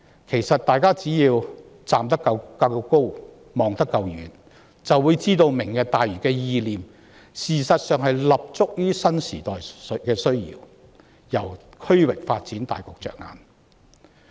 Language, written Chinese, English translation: Cantonese, 其實大家只要站得夠高、望得夠遠，便會知道"明日大嶼"的意念，事實上是立足於新時代的需要，從區域發展大局着眼。, Actually we need only raise and broaden our vision to realize that the concept of Lantau Tomorrow is founded on the needs of the new era and positioned from the perspective of the overall regional development